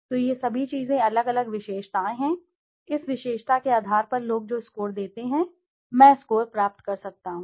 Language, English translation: Hindi, So all these things are the different attributes, on basis of this attribute the score the people give, I can derive a score